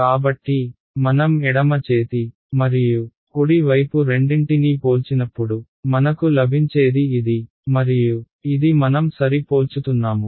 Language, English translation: Telugu, So, when I compare both the left hand side and the right hand side what I get is